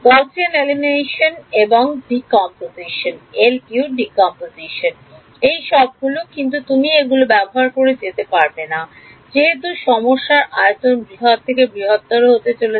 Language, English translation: Bengali, Gaussian elimination and LU decomposition all of those things, but you cannot keep doing this as the size of the problem becomes large and large